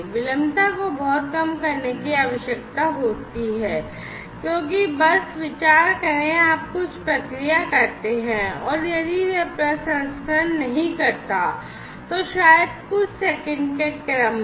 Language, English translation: Hindi, And, the latency is required to be very low because just consider that you process something and if it does not the processing takes, maybe in the order of few seconds